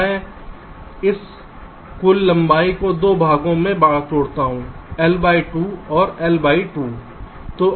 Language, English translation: Hindi, i break this total length into two parts: l by two and l by two